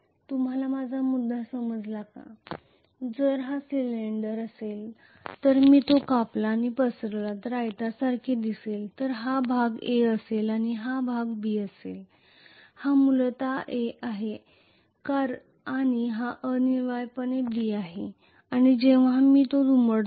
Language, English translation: Marathi, You get my point, if it is a cylinder if I cut it and spread it, it will look like a rectangle if this portion is A and this portion is B So this is essentially A and this is essentially B and when I fold it, it can become like a cylinder